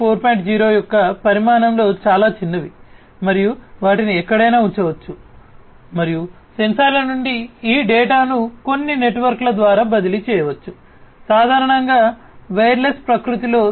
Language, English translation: Telugu, 0 in general sensors that are used are very small in size, and they can be placed anywhere and these data from the sensors can be transferred over some networks, typically, wireless in nature